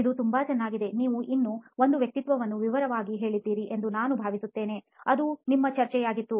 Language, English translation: Kannada, This is very nice, I am assuming you have also going to detail one more persona; That was our discussion